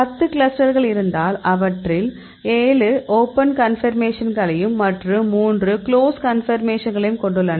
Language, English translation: Tamil, We have 10 clusters and we look at the 10 clusters; 7 are open conformation and the 3 are in the close conformation